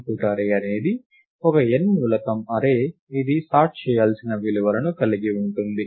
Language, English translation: Telugu, The input array is an n element array, which contains the values to be sorted